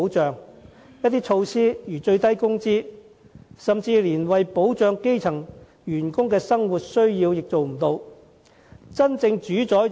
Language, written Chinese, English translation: Cantonese, 最低工資等措施，有時甚至無法滿足基層員工的生活所需。, Some measures such as the minimum wage often fail to meet the day - to - day needs of the grass - roots workers